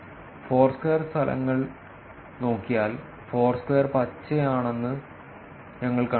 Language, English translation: Malayalam, By looking at Foursquare results, we find that Foursquare is green